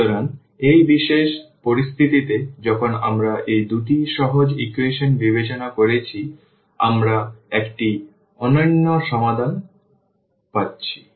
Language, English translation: Bengali, So, in this particular situation when we have considered these two simple equations, we are getting unique solution